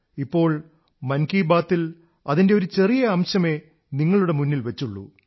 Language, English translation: Malayalam, In this 'Mann Ki Baat', I have presented for you only a tiny excerpt